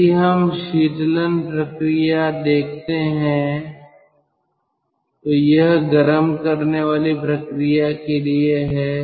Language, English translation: Hindi, if we see the cooling process, so this is for the heating process